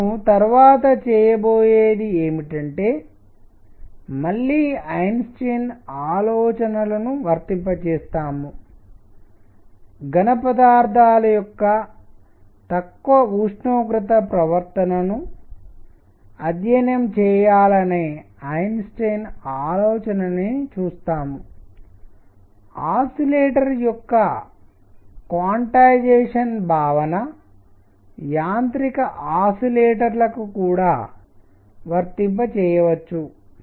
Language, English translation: Telugu, What we will do next is again apply Einstein ideas; Einstein’s idea to study the low temperature behavior of solids to see that the ideas of quantization of an oscillator can also be applied to mechanical oscillators